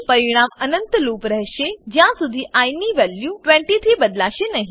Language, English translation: Gujarati, The result will be an infinite loop, since the value of i will not change from 20